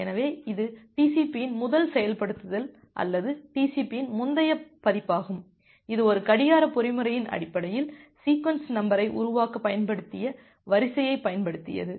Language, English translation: Tamil, So, that was the first implementation of TCP or the earlier version of the TCP, it used the sequence it used to generate the sequence number based on a clock mechanism